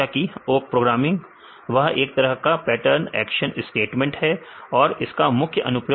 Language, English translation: Hindi, Awk programming; awk is the pattern action statement; so what is the main applications of awk